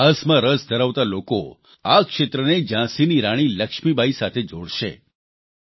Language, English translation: Gujarati, Those interested in history will connect this area with Rani Lakshmibai of Jhansi